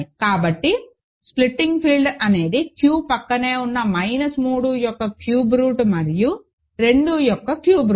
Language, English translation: Telugu, So, the splitting field is Q adjoined cube root of minus 3 and cube root of 2